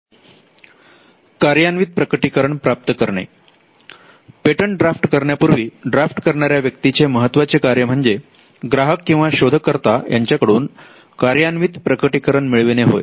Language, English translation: Marathi, Getting a working disclosure: Before drafting a patent, the objective of a person who drafts a patent will be to get a working disclosure from the client or the inventor